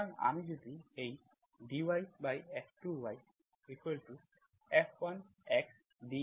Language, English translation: Bengali, So if I divide this DY by F2 y is equal to F1 x DX